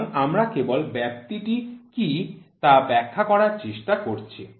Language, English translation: Bengali, So, we are just trying to find out trying to explain out what is the range